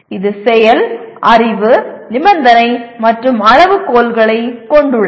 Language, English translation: Tamil, It consists of Action, Knowledge, Condition, and Criterion